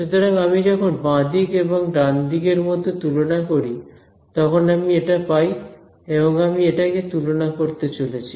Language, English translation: Bengali, So, when I compare both the left hand side and the right hand side what I get is